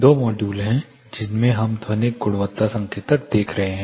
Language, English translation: Hindi, There are two modules in which we will be looking at acoustic quality indicators